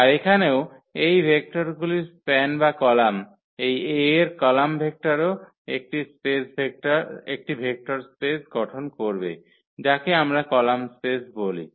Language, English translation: Bengali, So, here also the span of these vectors of or the columns, column vectors of this a will also form a vector space which we call the column space